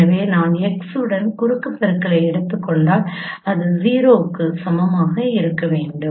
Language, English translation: Tamil, So if I take the cross product with x that should be equal to 0